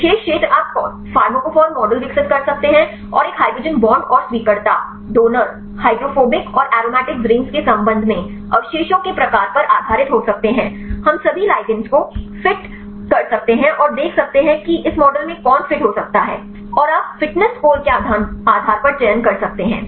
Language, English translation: Hindi, Particular region you can develop the pharmacophore models and based on the type of a residues with respect to a hydrogen bonds and acceptors, donors, hydrophobic and aromatic rings; we can fit all the ligands and see which can fit at this model and you can select based on the fitness score